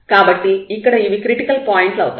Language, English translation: Telugu, So, these are the critical points